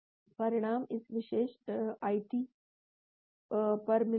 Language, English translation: Hindi, , results send to this particular ID